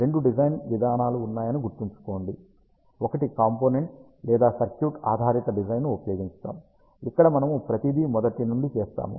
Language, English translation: Telugu, Just to recall ah there are two design approaches, one is ah by using component or circuit based design, where we do everything from scratch